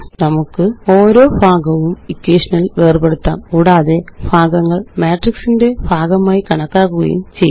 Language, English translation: Malayalam, We can separate each part in the equation and treat the parts as elements of a matrix